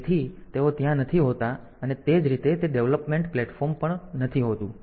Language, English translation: Gujarati, So, they are not there and similarly that development platform